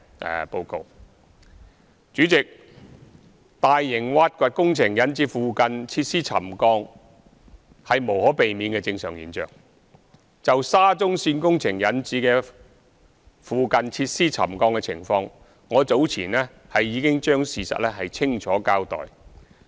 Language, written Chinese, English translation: Cantonese, 代理主席，大型挖掘工程引致附近設施沉降是無可避免的正常現象，就沙中線工程引致附近設施沉降的情況，我早前已將事實清楚交代。, Deputy President it is inevitable and perfectly normal that large - scale excavation works would cause subsidence of the facilities near the works site . I have already given a clear account of the situation of the subsidence of nearby facilities caused by the construction works of the SCL